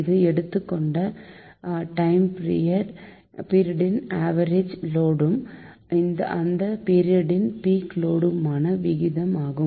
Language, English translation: Tamil, so it is the ratio of the average load over a designated period of time to the peak load occurring on that period